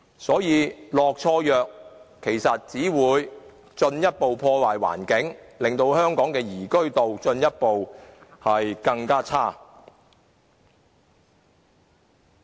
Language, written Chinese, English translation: Cantonese, 所以，"落錯藥"只會進一步破壞環境，令香港的宜居度進一步變差。, Hence the wrong prescription will only further damage our environment and make Hong Kong an even less desirable city for living